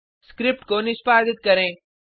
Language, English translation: Hindi, Now let us execute the script